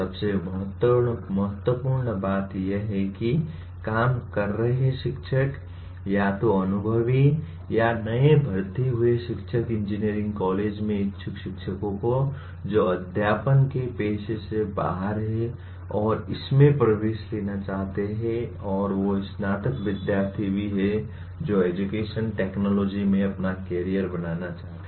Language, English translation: Hindi, Most importantly the working teachers, either the experienced or newly recruited teachers in engineering colleges, aspiring teachers, those who are outside the teaching profession and want to get into this and also graduate students who wish to make their careers in education technology